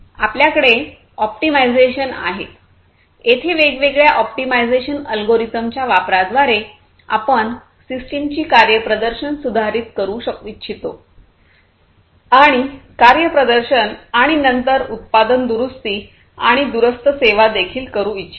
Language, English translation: Marathi, So, this is about control and then we have the optimization; here through the use of different algorithms, optimization algorithms, we want to improve the performance of the system the process and so on performance, and then product repair, and also remote service